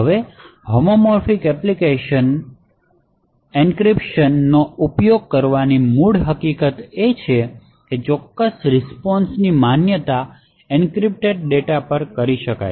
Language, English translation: Gujarati, Now the basic property of using homomorphic encryption is the fact that the validation of the particular response can be done on encrypted data